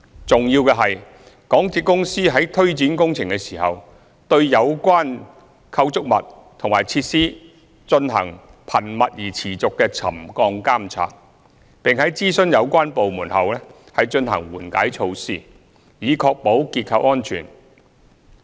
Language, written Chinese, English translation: Cantonese, 重要的是，港鐵公司在推展工程時，對有關構築物和設施進行頻密而持續的沉降監察，並在諮詢有關部門後，進行緩解措施，以確保結構安全。, It is important that MTRCL shall monitor the settlement of the relevant structures and facilities in a frequent and continuous manner during the implementation of works . Upon consulting the relevant departments MTRCL would carry out mitigation measures to ensure the structural safety of the facilities